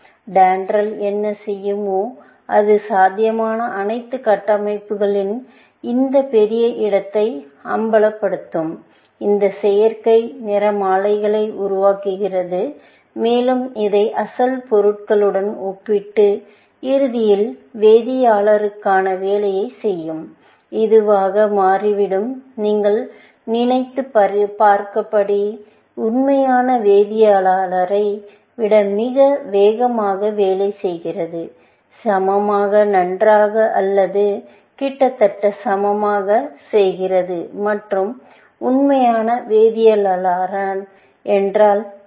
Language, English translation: Tamil, What DENDRAL would do is that it would expose this huge space of all possible structures, generates this synthetic spectrograms, and compare it with the one of the original material, and eventually, do the job for the chemist, and it turns out that this was working, of course, much faster than real chemist, as you can imagine; and doing equally, well or almost, equally well and when you say real chemist means people, who have PHDs essentially